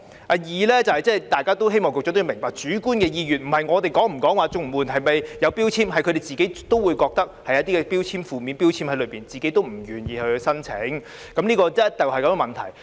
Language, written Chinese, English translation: Cantonese, 第二，希望局長也明白，他們的主觀意願並非源於我們是否對綜援有標籤，而是他們也認為綜援有負面的標籤，故此不願意申請，這是箇中的問題。, Second I hope the Secretary would also understand that their subjective wish does not originate from whether we have a stigma attached to CSSA but it is because they also think that CSSA has a negative stigma thus making them unwilling to apply . This is where the crux of the problem lies